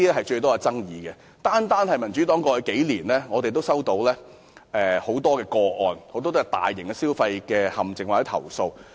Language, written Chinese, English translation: Cantonese, 在過去數年，單是民主黨便已經收到很多求助個案，涉及大型消費陷阱或投訴。, Over the past few years the Democratic Party alone has already received many requests for assistance involving major consumer traps or complaints